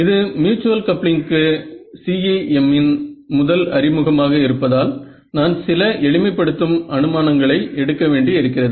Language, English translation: Tamil, Now, since this is the very first introduction of CEM to mutual coupling, I need to make some simplifying assumptions which is not required, but it is just to keep the derivation simple